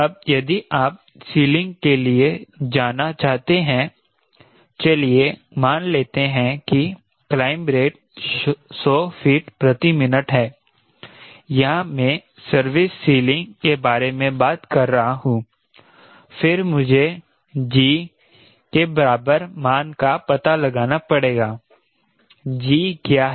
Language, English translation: Hindi, right now, if you want to go for ceiling they say rate of climb is hundred feet per minute, which i am talking about, service ceiling then i have to find out the equivalent value of g